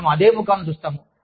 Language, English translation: Telugu, We see the same faces